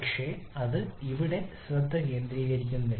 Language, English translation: Malayalam, But that is not the focus here